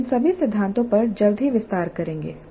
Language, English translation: Hindi, We will elaborate on all these principles shortly